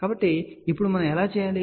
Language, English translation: Telugu, So, how do we do that now